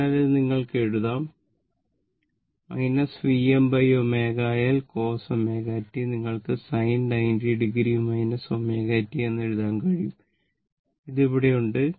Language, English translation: Malayalam, You know that this, this one you can write minus V m by omega L cos omega t, you can write sin 90 degree minus omega t and this minus is there